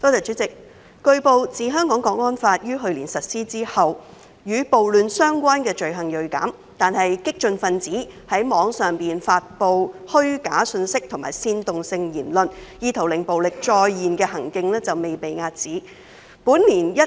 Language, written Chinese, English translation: Cantonese, 主席，據報，自《香港國安法》於去年實施後，與暴亂相關罪行銳減，但激進分子在網上發放虛假資訊和煽動性言論，意圖令暴力再現的行徑未被遏止。, President it has been reported that since the implementation of the National Security Law for Hong Kong last year riot - related crimes have plunged but radicals acts of disseminating false information and seditious remarks on the Internet with an intent to revive violence have not been curbed